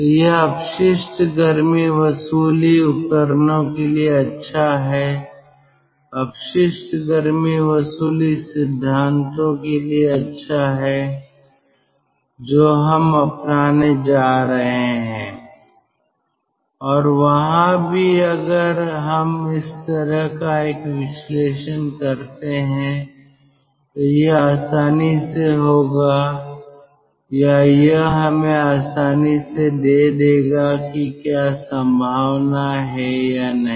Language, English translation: Hindi, this also holds good for waste heat recovery devices, waste heat recovery ah principles, what we are going to adopt, and there also, if we do this kind of an analysis, it will easily or it will readily give us whether there is a possibility or not